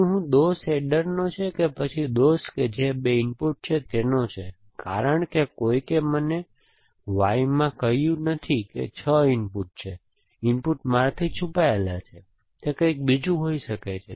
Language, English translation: Gujarati, Now, whether the fault is with the adder or whether the fault which is the 2 inputs, because nobody, Y is told me that the input is 6, the input is hidden from me, it could be something else essentially